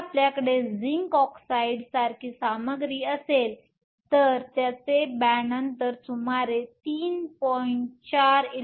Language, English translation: Marathi, If you had material like zinc oxide, its band gap is around 3